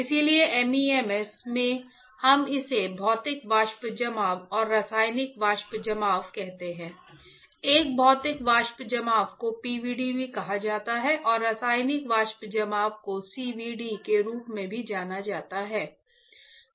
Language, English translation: Hindi, So, in MEMS we call this as physical vapor deposition and chemical vapor deposition l Physical Vapor Deposition also called PVD and chemical vapor deposition also known as CVD alright